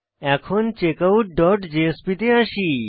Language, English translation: Bengali, Now, let us come to checkOut dot jsp